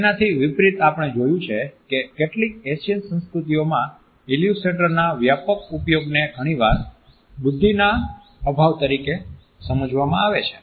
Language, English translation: Gujarati, In contrast we find that in some Asian cultures and extensive use of illustrators is often interpreted as a lack of intelligence